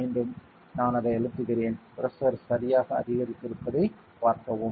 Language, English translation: Tamil, Again I am compressing it; see the pressure has increased correctly